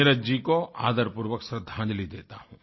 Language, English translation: Hindi, My heartfelt respectful tributes to Neeraj ji